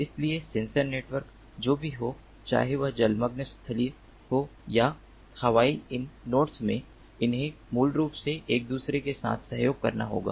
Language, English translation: Hindi, so whatever be the sensor network, whether it is underwater, terrestrial or aerial, these nodes, they basically have to cooperate with one another in order for the network to function